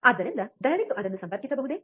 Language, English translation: Kannada, So, can you please connect it